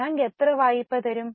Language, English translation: Malayalam, How much loan bank will give